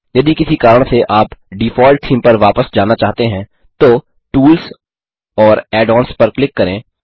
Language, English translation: Hindi, If, for some reason, you wish to go back to the default theme, then, just click on Tools and Add ons